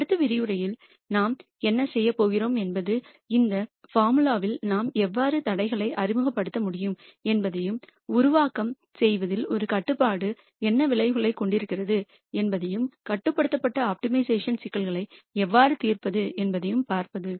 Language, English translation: Tamil, What we are going to do in the next lecture is to look at how we can introduce constraints into this formulation, and what effect does a constraint have on the formulation and how do we solve constrained optimization problems